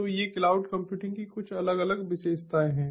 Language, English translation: Hindi, so these are some of the different characteristics of cloud computing